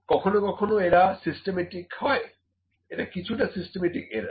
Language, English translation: Bengali, So, these are some time systematic, it is a kind of the systematic error only